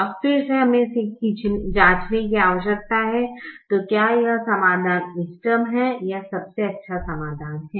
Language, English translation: Hindi, now again we need to check whether this solution is optimum or the best solution